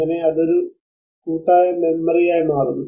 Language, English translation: Malayalam, And so that it becomes a memory a collective memory